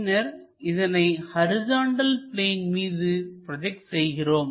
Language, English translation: Tamil, So, project here, similarly project it onto horizontal